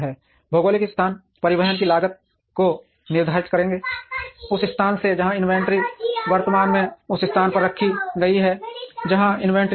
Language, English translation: Hindi, Geographic locations would determine the cost of transportation, from the place where the inventory is currently held to the place, where the inventory moves